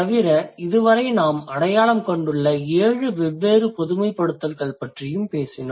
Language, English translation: Tamil, Besides that, we also talked about seven different generalizations that we have identified so far